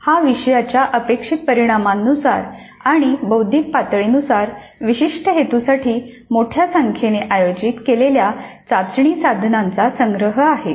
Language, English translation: Marathi, It is a collection of a large number of test items organized for a specific purpose according to the course outcomes and cognitive levels